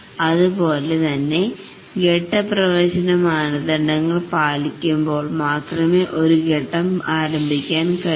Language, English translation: Malayalam, Similarly, a phase can start only when its phase entry criteria have been satisfied